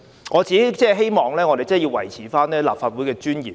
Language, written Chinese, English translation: Cantonese, 我只希望我們能維持立法會的尊嚴。, I only hope that we can uphold the dignity of the Legislative Council